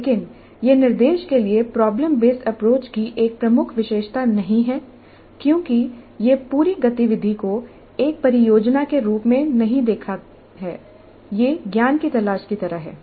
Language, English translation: Hindi, But this is not a key feature of problem based approach to instruction because it doesn't look at the whole activity as a project